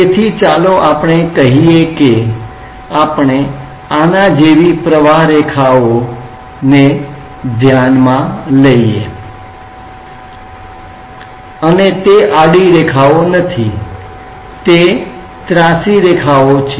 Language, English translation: Gujarati, So, let us say that we consider a streamline like this and these are not horizontal lines, these are incline one s